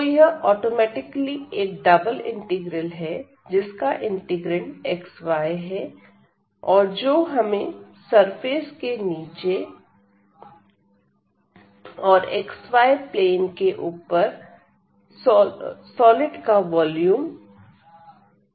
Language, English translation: Hindi, So, this automatically this double integral with the integrand this xy will give us the volume of the solid below by the surface and above this xy plane